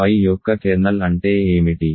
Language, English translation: Telugu, What is kernel of phi